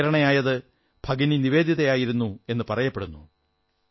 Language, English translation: Malayalam, It is said that Bhagini Nivedita was the inspiration